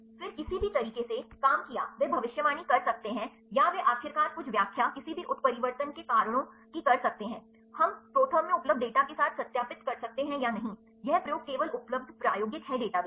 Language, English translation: Hindi, Then any methods so, worked out they can predict, or they can finally, explain some reasons for any mutations, we can verify with the datas available in the ProTherm or not, this experiment only available experimental database